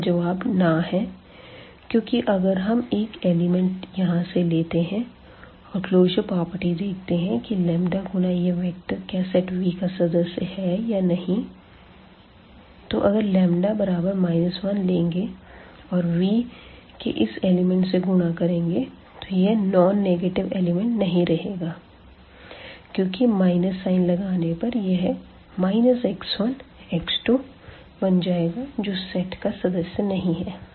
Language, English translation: Hindi, And the answer is no, because if we take one element here and the closure property says that the lambda times this we must be there and if we take lambda minus 1, for example, so, the minus 1 into the this element from V which are having this non negative components, but when we multiply with the minus sign it will become minus x 1 minus x 2 and this will not belongs to this set V